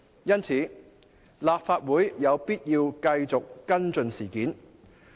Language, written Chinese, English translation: Cantonese, 因此，立法會有必要繼續跟進事件。, Therefore it is necessary for this Council to continue to follow up the incident